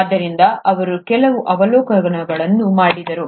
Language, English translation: Kannada, So he made a few observations